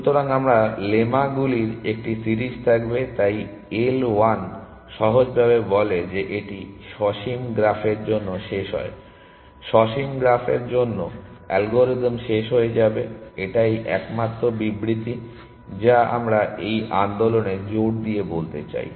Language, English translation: Bengali, So, we will have a series of lemmas, so L 1 simply says that it terminates for finite graphs; the algorithm will terminate for finite graphs; that is the only statement we want to assert at this movement